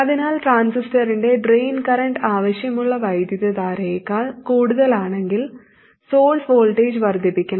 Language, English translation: Malayalam, So if the drain current of the transistor happens to be more than the desired current, then the source voltage must be increased